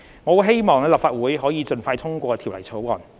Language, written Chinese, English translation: Cantonese, 我希望立法會可以盡快通過《條例草案》。, I hope that the Bill can be passed by the Legislative Council as soon as possible